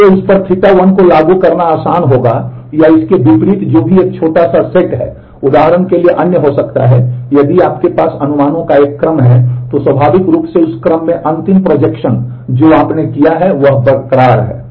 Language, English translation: Hindi, So, applying theta 1 on that would be easier or vice versa depending on whichever is a smaller set there could be other for example, if you have a sequence of projections then naturally in that sequence the last projection that you have done is what is retained